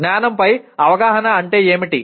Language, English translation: Telugu, What is awareness of knowledge